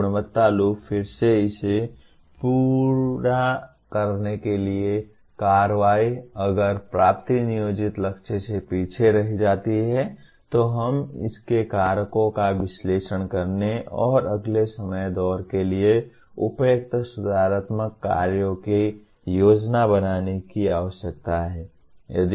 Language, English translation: Hindi, So quality loop again to complete this, action, if the attainment lags behind the planned target, we need to further analyze the reasons for the same and plan suitable corrective actions for the next time round